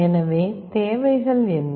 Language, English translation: Tamil, So, what are the requirements